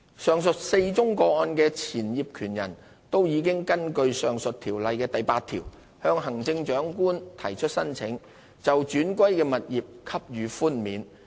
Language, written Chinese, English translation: Cantonese, 上述4宗個案的前業權人都已根據上述條例的第8條向行政長官提出呈請，就轉歸的物業給予寬免。, The former owners in these four cases all petitioned the Chief Executive for relief against the vesting of property under section 8 of the above mentioned ordinance